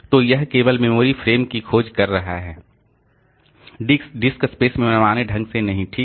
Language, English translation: Hindi, So, that is searching for only the memory frames not arbitrarily in the disk space